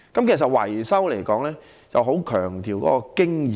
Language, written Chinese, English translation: Cantonese, 其實維修是十分強調經驗的。, In fact experience is crucial to repairs and maintenance